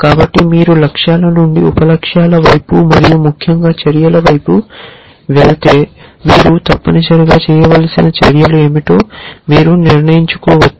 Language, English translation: Telugu, So, if you go from goals towards sub goals and essentially, eventually towards actions then you can decide what are the actions that you need to do essentially